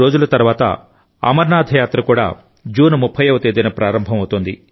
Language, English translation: Telugu, Just 4 days later,the Amarnath Yatra is also going to start from the 30th of June